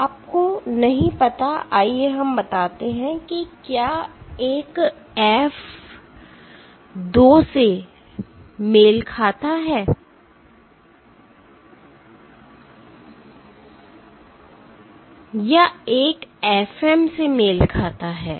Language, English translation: Hindi, You do not know whether 1 corresponds to let us say F2 or 1 corresponds to F M